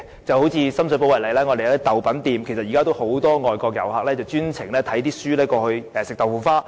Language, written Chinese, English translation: Cantonese, 以深水埗為例，當中有家豆品店，現時有很多外國遊客也會特地到該店吃豆腐花。, In the case of Shum Shui Po for example there is a shop specialized in tofu snacks where many overseas visitors will pay a special visit for the tofu pudding